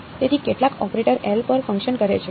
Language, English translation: Gujarati, So, some operator L acts on